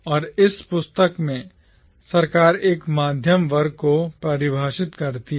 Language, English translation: Hindi, And in this book Sarkar defines a middle class